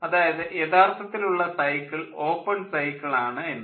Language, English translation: Malayalam, the actual cycle is like this open cycle